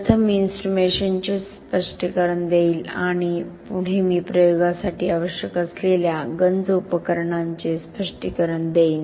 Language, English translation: Marathi, First, I will explain the instrumentation and next I will go explain the corrosion accessories that are required for the experiment